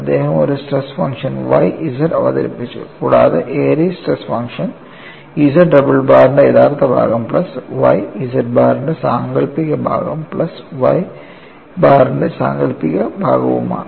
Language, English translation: Malayalam, He introduced a stress function Y z, and the Airy's stress function is recast as real part of Z double bar plus y imaginary part of Z bar plus y imaginary part of Y bar